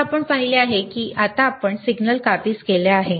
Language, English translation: Marathi, So, you see you have now captured the signal